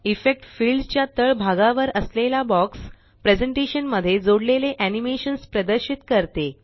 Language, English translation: Marathi, The box at the bottom of the Effect field displays the animations that have been added to the presentation